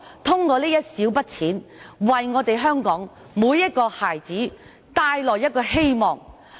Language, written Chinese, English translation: Cantonese, 這一小筆錢，能為香港每個孩子帶來希望。, This small sum of money can bring hope to every child in Hong Kong